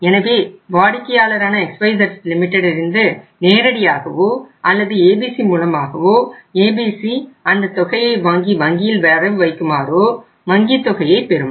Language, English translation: Tamil, So once the bank receives that amount maybe directly from buyer XYZ Limited or through ABC, ABC will receive that amount and that will be credited by or that will be deposited by ABC in the bank